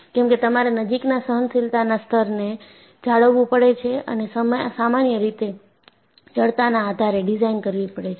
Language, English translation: Gujarati, Because, you have to maintain close tolerance levels and usually designed based on stiffness